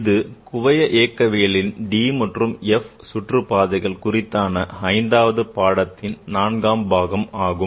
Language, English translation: Tamil, This is the part 4 of the fifth lecture on the d and the f orbital views in quantum mechanics